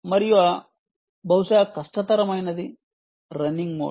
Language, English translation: Telugu, ok, and perhaps the toughest is the running mode